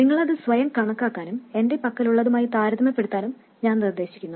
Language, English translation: Malayalam, I suggest that you calculate it by yourself and then compare it to what I have